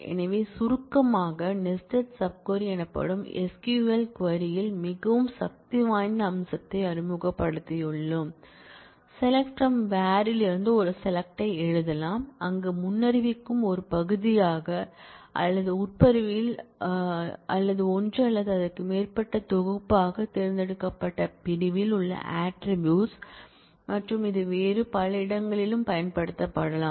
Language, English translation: Tamil, So to summarize, we have introduced a very powerful feature in SQL query known as nested sub query, where we can write a select from where expression as a part of the where predicate or as a relation in the from clause or as one or more collection of attributes in the select clause and it can be used in several other places also